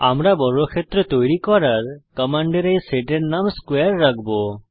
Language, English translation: Bengali, We will name of this set of commands to draw a square as square